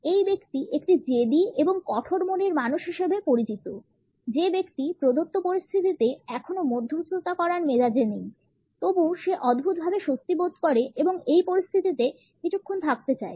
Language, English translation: Bengali, This person comes across is a stubborn and tough minded person; a person who is not in a mood to negotiate yet in the given situation feels strangely relaxed and wants to stay in this situation for a little while